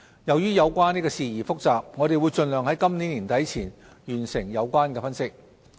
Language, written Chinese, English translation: Cantonese, 由於有關事宜複雜，我們會盡量在今年年底前完成有關分析。, Given the complexity of the issues we will endeavour to complete the analysis by the end of this year